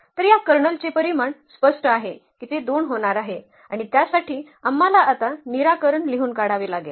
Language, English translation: Marathi, So, the dimension of this Kernel is clear that is going to be 2 and we have to find the basis for that we have to write down solution now